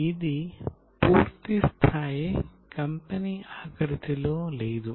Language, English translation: Telugu, This is not in the full fileged company format